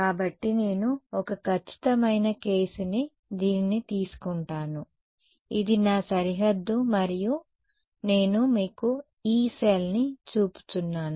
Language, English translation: Telugu, So, let us take a definite case again this is my boundary and I am showing you one Yee cell ok